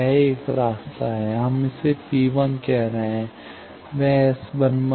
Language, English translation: Hindi, One path is this; we are calling it P 1; that is, S 1 1